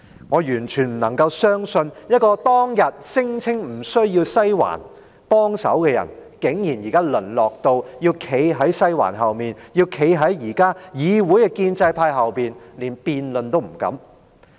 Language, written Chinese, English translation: Cantonese, 我完全不能夠相信，一個當天聲稱不用"西環"幫忙的人，現時竟然淪落到要站在"西環"後面、站在議會的建制派後面，連辯論都不敢。, I just cannot believe a person who claimed back then that she would need no assistance from the Western District has now degenerated to a state where she has to stand behind the Western District and stand behind the pro - establishment camp in this Council not daring even to take on a debate